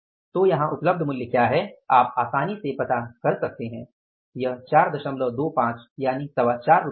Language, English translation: Hindi, So you can easily find out what is the price available here is that is 4